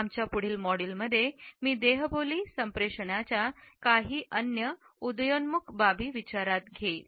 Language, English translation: Marathi, In our next module, I would take up certain other emerging aspects of non verbal communication